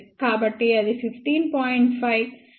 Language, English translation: Telugu, So, that will 15